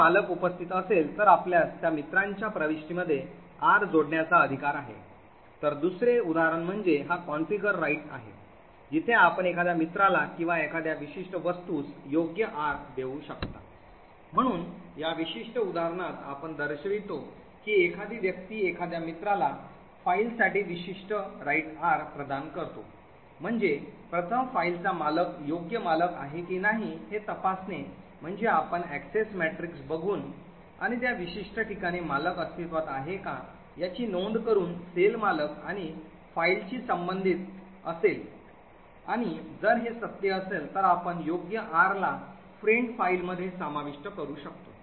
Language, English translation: Marathi, If the owner is present then you have the right to add R into that friends entry, so another example is this confer right, where you can confer right R to a friend or a particular object, so in this particular example we show how someone can confer the particular right R for a file to a friend, so the first thing to do is to check whether the owner of the file is the right owner, we do this by looking at the Access Matrix and noting whether owner is present in that particular cell corresponding to owner and file and if this is true then we can add the right R into friend, file into the cell corresponding to friend, file